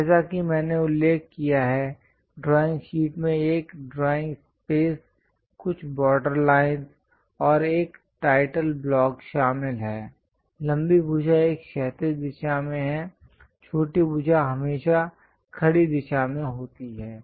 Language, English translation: Hindi, As I mentioned, drawing sheet involves a drawing space, few border lines, and a title block; longer side always be in horizontal direction, shorter side always be in the vertical direction